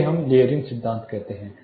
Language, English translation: Hindi, This we call as layering principle